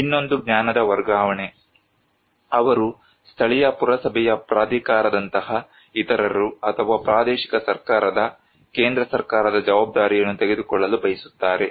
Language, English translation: Kannada, Other one is that the transferring of knowledge, they want to take the responsibility by others like local municipal authority or by the central government on regional government